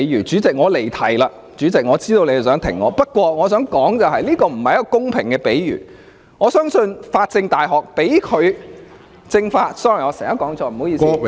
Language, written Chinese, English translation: Cantonese, 主席，我離題了，我知道你想停止我發言，但我想指出，這並不是一個公平的比喻，相信中國法政——對不起，我常常說錯，是政法大學——頒發給他......, President I have digressed and I know you are going to stop me from speaking . Yet I must say that it is not an appropriate analogy . I believe the China University of Law and Political Science―sorry I keep getting it wrong